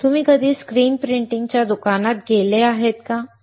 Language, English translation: Marathi, Have you ever gone to a screen printing shop